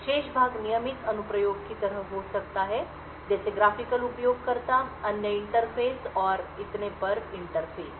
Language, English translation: Hindi, The remaining part could be the regular application like access like the graphical user interfaces other interfaces and so on